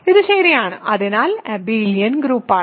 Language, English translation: Malayalam, So, this is ok; so its abelian group